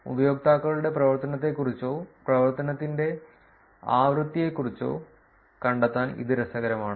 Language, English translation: Malayalam, This is interesting to find out about the activity or the frequency of activity of the users